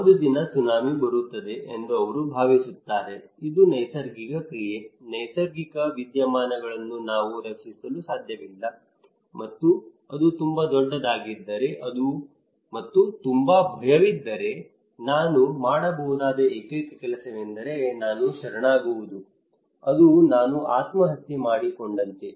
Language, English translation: Kannada, They will think okay tsunami will come one day it is a natural act, natural phenomena we cannot protect and if it is too big and if I have lot of fear the only thing I can do is I can surrender it is like committing suicide I am a fatalist